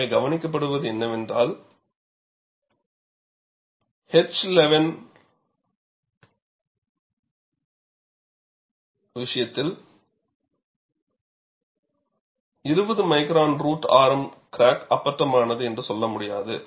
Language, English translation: Tamil, So, what is observed is, in the case of H 11 steel, 20 micron root radius is enough to say that, the crack is blunt